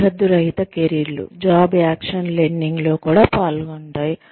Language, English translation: Telugu, Boundaryless careers, also involve, on the job action learning